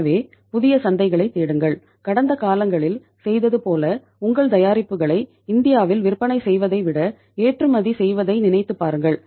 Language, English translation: Tamil, So search for the new markets and think of exporting your product rather than selling it in India as you have been doing it in the past